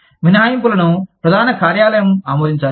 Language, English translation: Telugu, Exceptions need to be approved, by headquarters